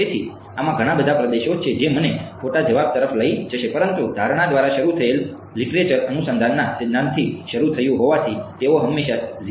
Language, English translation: Gujarati, So, there are many regions in this which will take me to the wrong answer, but since the literature started by assuming started with the theory of born approximation they always started with 0 0